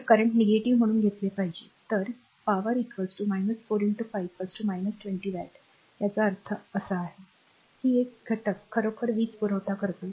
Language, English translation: Marathi, So, I should be taken as a negative; so, p is equal to minus 4 into 5; so, minus 20 watt; that means, this element actually supplying the power